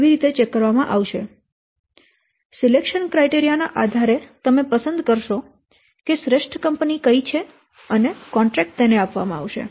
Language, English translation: Gujarati, So, based on what criteria you will select that which is the best firm and the contract will be awarded to that firm